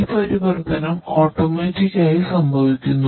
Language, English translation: Malayalam, The transition is going to be happen automatically